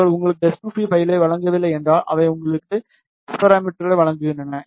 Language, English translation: Tamil, If they do not provide you s2p file, they provide you S parameters